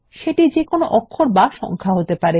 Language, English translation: Bengali, This can be either a letter or number